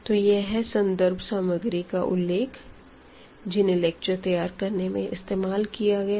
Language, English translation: Hindi, So, these are the references I used for preparing the lectures and